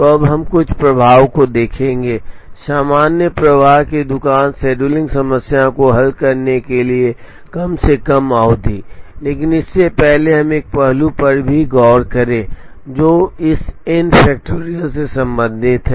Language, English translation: Hindi, So, we will now look at some heuristics to solve the general flow shop scheduling problem to minimize make span; but before that let us also look at one aspect which is regarding this n factorial